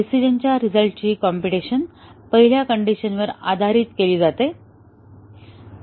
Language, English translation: Marathi, The decision result are computed based on the first condition